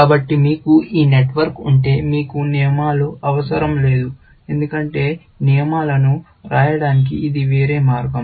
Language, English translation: Telugu, So, if you have this network, then you do not need the rules, essentially, because it is just a different way of writing these rules